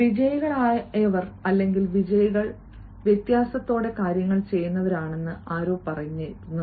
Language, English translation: Malayalam, somebody rightly says that victorious are those, or winners are those, who do things with a difference